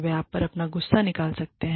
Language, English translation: Hindi, They may end up, venting their anger on you